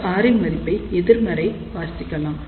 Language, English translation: Tamil, Now, read this value of R as negative